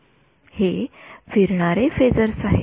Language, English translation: Marathi, These are phasors that are rotating